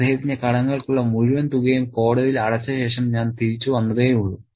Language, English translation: Malayalam, I have just come back after paying the court the entire amount for his debts